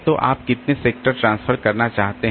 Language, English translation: Hindi, So, how many sectors you want to transfer